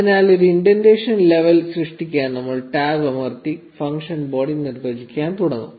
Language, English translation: Malayalam, So we press tab to create an indentation level, and start defining the function body